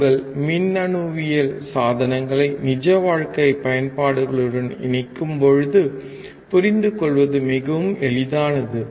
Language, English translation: Tamil, When you connect your electronics with real life applications, it becomes extremely easy to understand